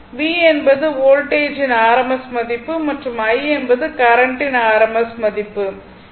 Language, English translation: Tamil, V is the rms value of the voltage and I is the rms value of the current